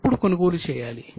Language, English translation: Telugu, When do you buy